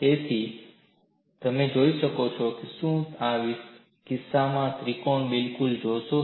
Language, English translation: Gujarati, So, you could see, do you see the triangle at all in this case